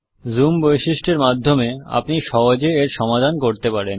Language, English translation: Bengali, You can solve this through the zoom feature